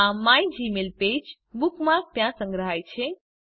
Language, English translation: Gujarati, The mygmailpage bookmark is saved there